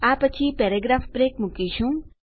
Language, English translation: Gujarati, We will put a paragraph break after that